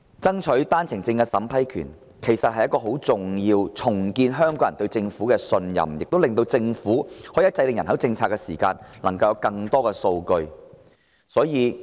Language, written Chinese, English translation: Cantonese, 爭取單程證的審批權既能令香港人重拾對政府的信任，亦讓政府掌握更多數據制訂人口政策，是十分重要的。, To restore Hong Kong peoples trust in the Government on the one hand and provide the Government with more data for the formulation of a population policy on the other it is crucial for Hong Kong to strive for the power to vet and approve OWP applications